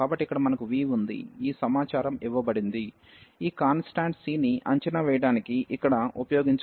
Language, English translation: Telugu, So, here we have phi 0 is 0, this information is given which we can use here to evaluate this constant c